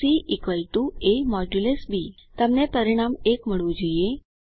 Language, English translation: Gujarati, c = a#160% b You should obtain the result as 1